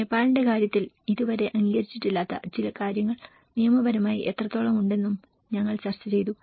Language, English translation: Malayalam, And in the case of Nepal, we also discussed about how legally that is certain things which have not been acknowledged so far